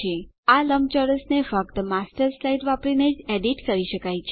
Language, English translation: Gujarati, This rectangle can only be edited using the Master slide